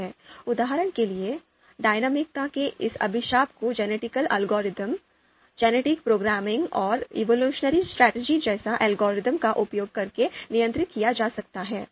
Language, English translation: Hindi, For example, this curse of dimensionality can be handled using algorithms like genetic algorithm, genetic programming and evolution strategies